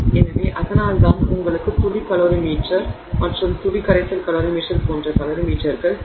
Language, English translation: Tamil, So, that is why you need those calorie meters such as the drop calorie meter and drop solution calorie meter